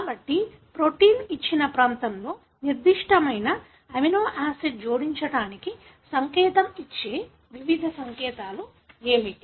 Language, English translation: Telugu, So, what are the different codes that give the signal for a particular amino acid to be added in the given region of the protein